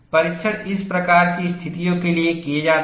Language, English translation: Hindi, The tests are done for these kinds of situations